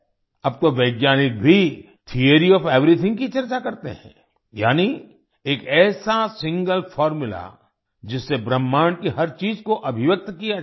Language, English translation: Hindi, Now scientists also discuss Theory of Everything, that is, a single formula that can express everything in the universe